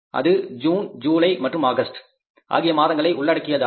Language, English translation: Tamil, This is June, this is July and this is August